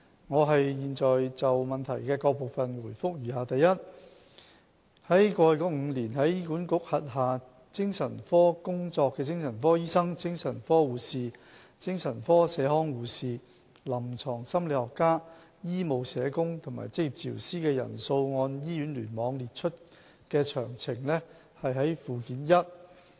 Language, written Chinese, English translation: Cantonese, 我現就質詢的各部分答覆如下：一過去5年在醫管局轄下精神科工作的精神科醫生、精神科護士、精神科社康護士、臨床心理學家、醫務社工和職業治療師的人數按醫院聯網列出的詳情見附件一。, My reply to the various parts of the question is as follows 1 The numbers of psychiatric doctors psychiatric nurses community psychiatric nurses clinical psychologists medical social workers and occupational therapists providing psychiatric services in HA in the past five years by hospital cluster are set out at Annex 1